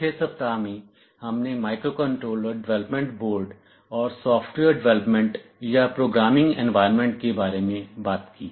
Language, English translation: Hindi, In the 4th week, we talked about microcontroller development boards and the software development or programming environments